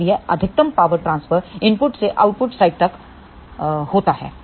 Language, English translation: Hindi, So, that maximum transfer of the power takes place from input to the output side